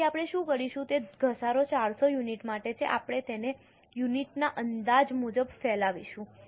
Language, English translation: Gujarati, So, what we will do is the depreciation is for 4,000 units, we will spread it over as for the estimates of units